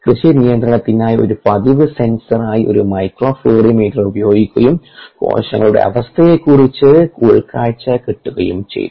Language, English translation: Malayalam, a microflory meter was used as a routine senserforcultivation control and provided insight into the status of cells